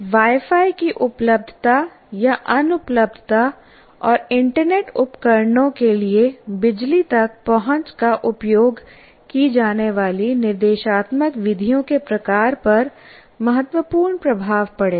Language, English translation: Hindi, And availability or non availability of Wi Fi and access to power for internet devices will have significant influence on the type of instructional methods used